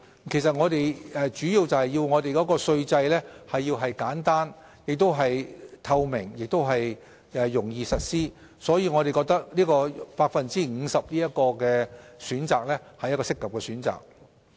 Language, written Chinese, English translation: Cantonese, 其實，這主要是因為我們要讓稅制簡單、透明和容易實施，所以我們認為 50% 是一個合適的選擇。, In fact we consider 50 % a proper choice mainly because we need to make our tax system simple transparent and easy to be implemented